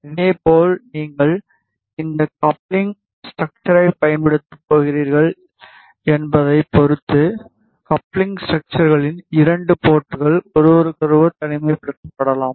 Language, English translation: Tamil, Similarly, the 2 ports of coupling structures can be isolated to each other depending on which coupling structure you are going to use